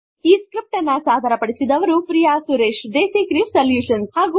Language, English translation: Kannada, This script has been contributed by Priya Suresh DesiCrew solutions